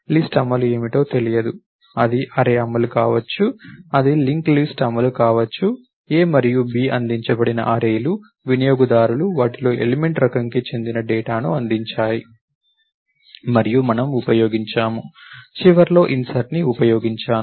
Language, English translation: Telugu, It may be an array implementation, it may be a link list implementation, a and b are arrays which are provided, which the users provided with data in them of type element type i and all around we use, insert at the end